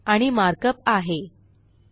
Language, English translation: Marathi, And the markup is: 2